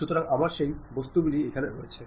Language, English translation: Bengali, So, I have that object